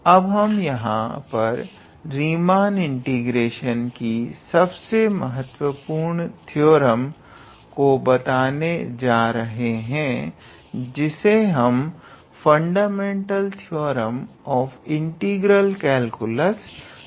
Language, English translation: Hindi, So, from here we can state our very important theorem of Riemann integration which is basically fundamental theorem of integral calculus